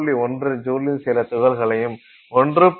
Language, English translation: Tamil, 1 joule, some number of particles at 1